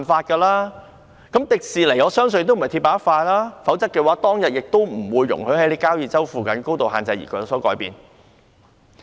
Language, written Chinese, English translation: Cantonese, 我相信迪士尼公司也不是鐵板一塊，否則當時亦不會容許改變交椅洲附近的高度限制。, I believe that TWDC is not as rigid as an iron plate otherwise it would not have allowed the height restrictions in the vicinity of Kau Yi Chau be modified back then